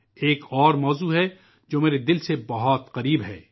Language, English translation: Urdu, There is another subject which is very close to my heart